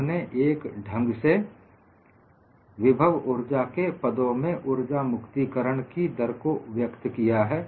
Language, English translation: Hindi, We have expressed energy release rate in terms of potential energy in some fashion